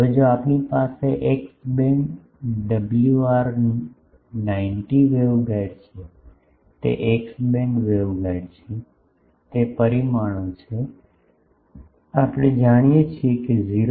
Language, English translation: Gujarati, Now, if, if you have at X band WR90 wave guide it is a X band waveguide, it is dimensions, we know a is 0